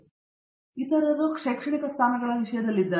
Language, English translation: Kannada, Then the other is in terms of academic positions